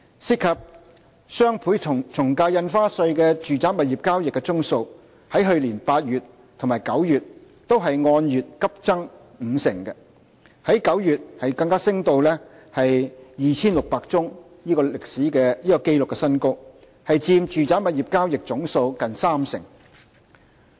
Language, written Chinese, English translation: Cantonese, 涉及雙倍從價印花稅的住宅物業交易宗數，在去年8月和9月均按月急增五成，在9月更加升至 2,600 宗的紀錄新高，佔住宅物業交易總數近三成。, Residential property transactions involving DSD rose sharply by 50 % month on month in August and September last year and even reached the record high of 2 600 in September accounting for almost 30 % of total residential property transactions